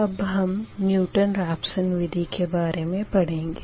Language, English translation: Hindi, so basically, what happen for newton raphson method